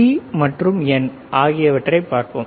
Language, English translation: Tamil, Let us see P, and N P and N